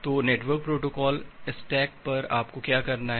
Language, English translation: Hindi, So, at the network protocol stack what you have to do